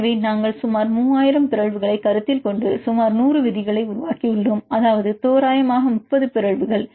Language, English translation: Tamil, So, we consider about 3000 mutations and made about 100 rules, that means approximately 30 mutations